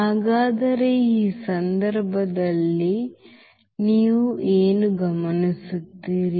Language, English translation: Kannada, So, what do you observe in this case